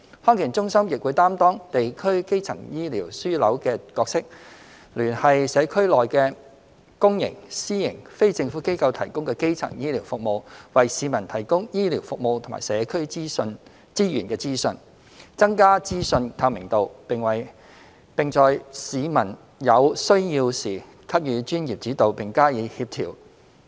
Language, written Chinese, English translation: Cantonese, 康健中心亦會擔當地區基層醫療樞紐的角色，聯繫社區裏的公營、私營、非政府機構提供的基層醫療服務，為市民提供醫療服務及社區資源的資訊，增加資訊透明度，並在市民有需要時給予專業指導並加以協調。, Meanwhile DHCs are positioned as district primary healthcare hubs to connect the primary healthcare services provided by the public sector private sector and non - governmental organizations in the community with a view to providing healthcare services and information on community resources to the public and enhancing information transparency . DHCs also strive to offer professional guidance to members of the public when needed and in a coordinated manner